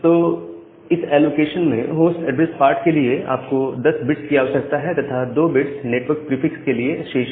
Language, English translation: Hindi, So, in that allocation, you require 10 bits for the host address part, and 2 bits are remaining for the network prefix